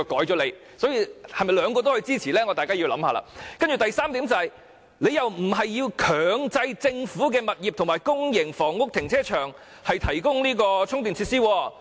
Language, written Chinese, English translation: Cantonese, 易志明議員的議案第三點並沒有建議強制政府物業及公營房屋停車場提供充電設施。, Point 3 of Mr Frankie YICKs motion is devoid of any proposal on the mandatory provision of charging facilities in the car parks of government properties and public housing